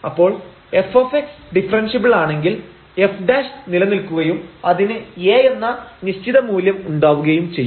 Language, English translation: Malayalam, So, if f x is differentiable then f prime exist and has definite value A